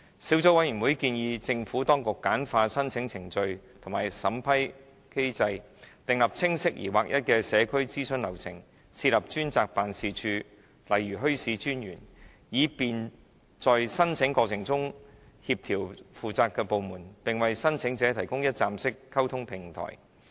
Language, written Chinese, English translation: Cantonese, 小組委員會建議政府當局簡化申請程序和審批機制，訂立清晰而劃一的社區諮詢流程，開設專責辦事處，例如墟市專員，以便在申請過程中協調負責的部門，並為申請者提供一站式溝通平台。, The Subcommittee recommends the Administration to streamline the application procedures and vetting mechanism develop clear and standardized community consultation procedures create a designated office such as the Commissioner for Bazaars to coordinate the responsible departments during the application process and provide a one - stop platform for the applicants